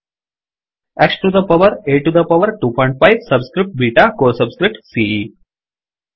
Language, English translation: Kannada, X to the power, A to the power 2.5, subscript beta, co subscript is ce